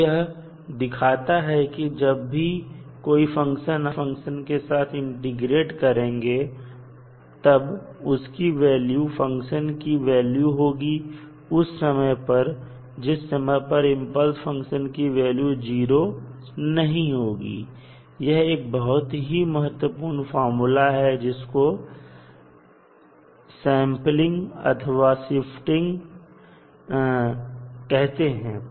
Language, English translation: Hindi, So, this shows that when the function is integrated with the impulse function we obtain the value of the function at the point where impulse occurs and this is highly useful property of the impulse function which is known as sampling or shifting property